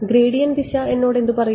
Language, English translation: Malayalam, What will the gradient direction tell me